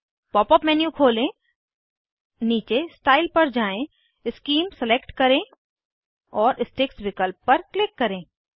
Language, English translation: Hindi, Open the Pop up menu, scroll down to Style , select Scheme and click on Sticks options